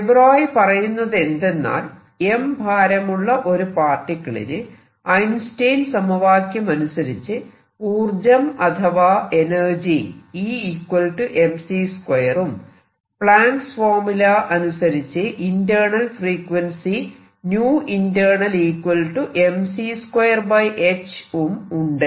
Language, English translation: Malayalam, What de Broglie said is if there is a particle of mass m by Einstein relationship it has energy mc square and by Planck’s relationship it has a some internal let us write internal frequency nu which is given by mc square over h